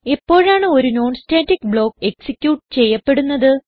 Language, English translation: Malayalam, When is a non static block executed